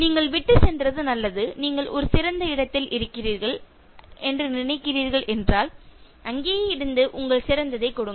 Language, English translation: Tamil, That was good that you left, and you think you are in a better place, just be there and give your best